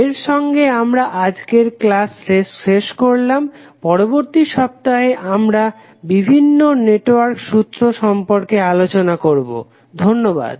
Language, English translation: Bengali, So, with this we will close today’s session, in next week we will discuss about the various network theorems, thank you